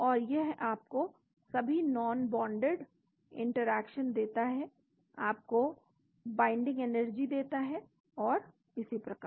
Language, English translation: Hindi, And it gives you all the non bonded interactions, gives you the binding energy and so on